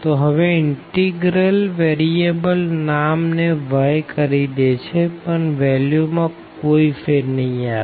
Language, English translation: Gujarati, So, just the integral variable changes name to y now, but does not matter the value will be the same